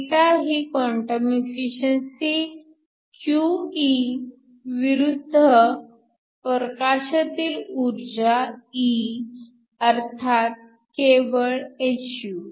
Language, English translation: Marathi, So, η is your quantum efficiency QE versus energy E of the light, so that just hυ